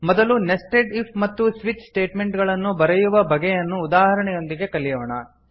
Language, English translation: Kannada, First we will learn, how to write nested if and switch statement with an example